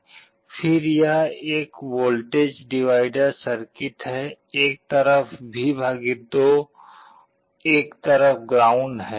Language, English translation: Hindi, Again this is a voltage divider circuit, one side V / 2 one side ground